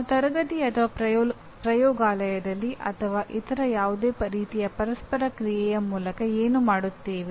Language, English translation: Kannada, What we do in the classroom or laboratory or through any other type of interaction